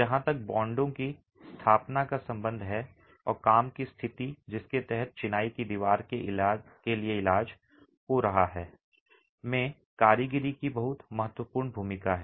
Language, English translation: Hindi, Workmanship has a very important role as far as the establishment of bond is concerned and conditions under which curing is happening for the masonry wall